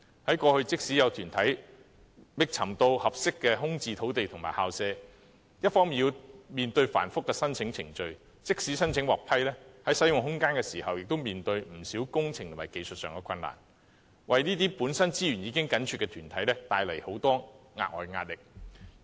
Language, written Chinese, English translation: Cantonese, 在過去，即使有團體覓得合適的空置政府土地和校舍，既要面對繁複的申請程序，即使申請獲批，在使用空間時也面對不少工程和技術上的困難，為這些本身資源已緊絀的團體倍添壓力。, In the past even though some organizations had identified suitable government sites or school premises they had to face the complicated application procedures . Even if their applications were approved they would encounter a lot of engineering and technical difficulties in using such space causing additional pressure to these organizations which were already straitened for resources